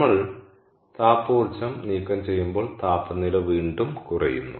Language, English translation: Malayalam, and as we remove the thermal energy, the temperature goes down again